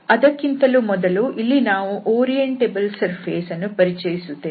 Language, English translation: Kannada, So, before that we have to introduce here this Orientable Surface